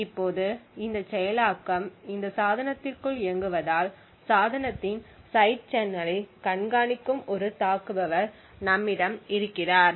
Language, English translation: Tamil, Now as this implementation is executing within this device we have an attacker who is monitoring the device side channel